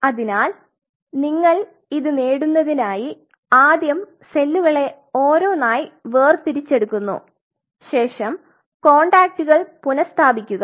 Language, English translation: Malayalam, So, the way you are achieving it is that first of all you have to isolate the individual cells and you have to reestablish the contact